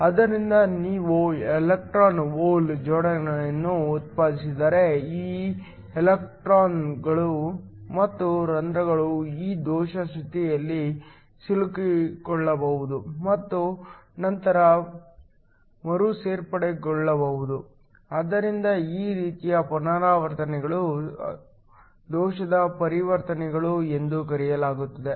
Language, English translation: Kannada, So, if you have electron hole pairs that are generated then these electrons and holes can get trapped in these defect states and then recombine, those kinds of transitions are called defect transitions